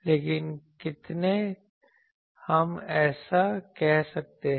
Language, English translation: Hindi, But, how many, can we say that